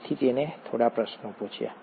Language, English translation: Gujarati, So he asked a few questions